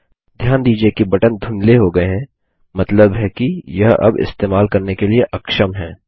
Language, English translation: Hindi, Notice that the button is greyed out, meaning now it is disabled from use